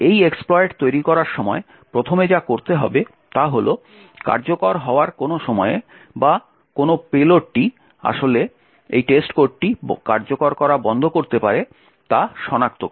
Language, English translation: Bengali, The first thing to actually do when creating this expert is to identify at what point during execution or what payload would actually cause this test code to stop executing